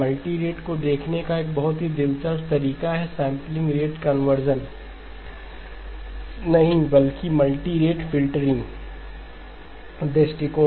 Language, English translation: Hindi, There is a very interesting way of looking at the multirate, not the sampling rate conversion, but the multirate filtering point of view